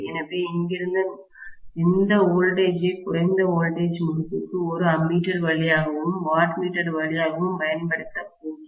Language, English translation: Tamil, So, some here I am going to apply this voltage to the low voltage winding through an ammeter and through a wattmeter, okay